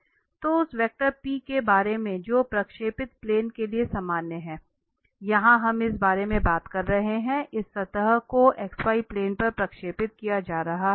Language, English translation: Hindi, So the p, concerning that vector p which is the normal to the projected plane, so, here we are talking about that this surface is being projected on the x y plane